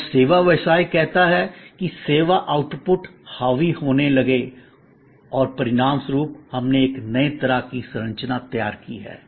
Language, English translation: Hindi, And service business says service outputs started dominating and as a result we have created a new kind of a structure